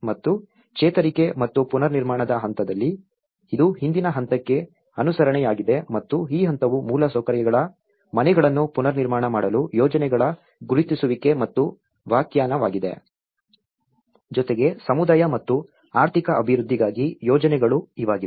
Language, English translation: Kannada, And in recovery and the reconstruction phase so, it is a follow up on to the previous phase and this phase is the identification and definition of projects to rebuild the houses of infrastructure and as well as, the projects for community and the economic development